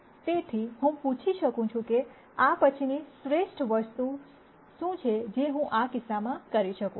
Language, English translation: Gujarati, So, I might ask what is the next best thing that I could do in this case